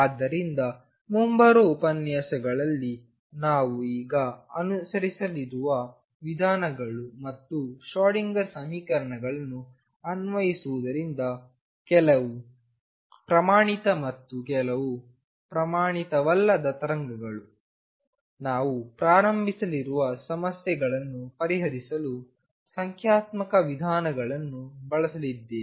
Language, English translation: Kannada, So, this is the approaches that we are going to now follow in the coming lectures and apply Schrodinger equations solve problems some standard and some non standard wave, we are going to use numerical approach to solve the problem we are going to start with very simple problems and slowly increase the difficulty level